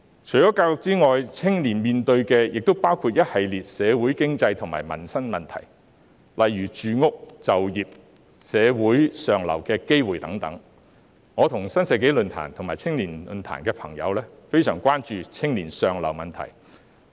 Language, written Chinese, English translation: Cantonese, 除了教育外，青年面對的亦包括一系列社會、經濟和民生問題，例如住屋、就業和社會向上流動機會等，我與新世紀論壇和新青年論壇的朋友均非常關注青年向上流動的問題。, Apart from education young people are also facing a series of social economic and livelihood issues such as housing employment and opportunities for upward social mobility . My friends in the New Century Forum and the New Youth Forum as well as I myself are extremely concerned about the upward mobility of young people